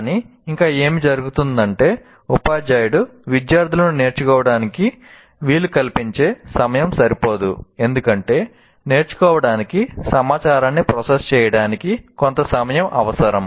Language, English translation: Telugu, but still what happens is the amount of material, the time the teacher is forced to take is not sufficient to facilitate the students to learn because learning requires certain amount of time to process the information